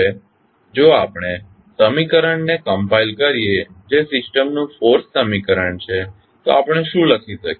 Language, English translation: Gujarati, Now, if we compile the equation which is force equation of the system, what we can write